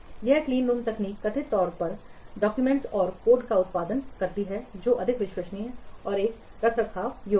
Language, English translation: Hindi, This clean room technique reportedly produces documentation and code that are more reliable and maintainable